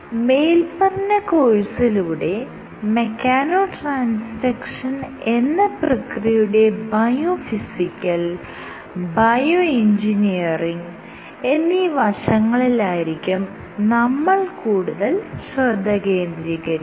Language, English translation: Malayalam, So, we will focus our focus will be on biophysical and bioengineering aspects of mechano transduction